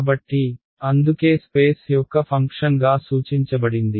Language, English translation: Telugu, So, that is why denoted as a function of space